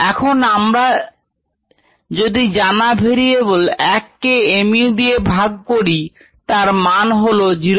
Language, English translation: Bengali, if we substitute the known variables, one by mu is point five